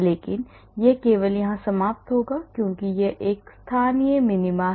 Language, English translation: Hindi, But you will only end up here because this is a local minima